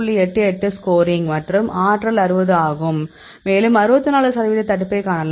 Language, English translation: Tamil, 88 score and the energy is 60 and you can see 64 percent inhibition